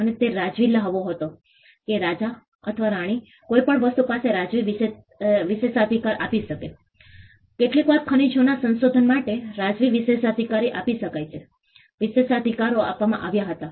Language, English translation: Gujarati, And it was the royal privilege the king or the queen could give a royal privilege for anything; sometimes the royal privileges could be given for explorations of minerals Privileges were given